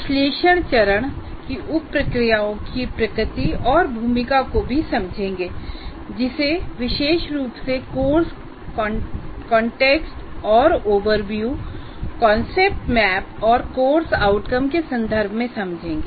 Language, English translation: Hindi, And also understand the nature and role of sub processes of analysis phase, particularly course context and overview, concept map and course outcomes